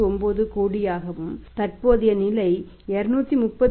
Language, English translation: Tamil, 99 crore and the present level of 231